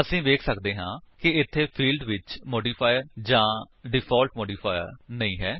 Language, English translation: Punjabi, We can see that here the fields have no modifier or default modifier